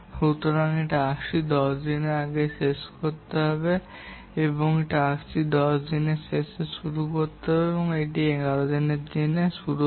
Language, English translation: Bengali, So, this task will complete at the end of day 10 and this task will start at the end of day 10 or that is beginning of day 11